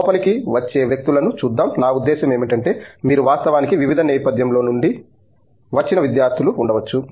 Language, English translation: Telugu, Let’s look at the people who come in, I mean presumably you may have in fact students from different backgrounds coming in